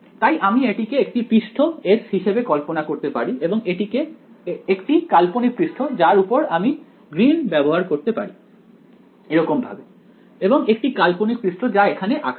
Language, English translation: Bengali, So, I can think of this being the surface S and one imaginary surface let me use green over here drawn like this and an imaginary surface drawn like this over here ok